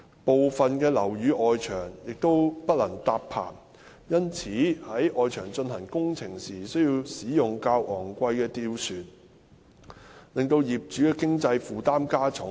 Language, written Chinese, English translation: Cantonese, 部分樓宇的外牆不能搭棚，因此在外牆進行工程時需使用較昂貴的吊船，令業主的經濟負擔加重。, Since scaffolds cannot be erected on the external walls of some buildings the more expensive gondolas are needed to be used when works are carried out on the external walls thus increasing the financial burdens on property owners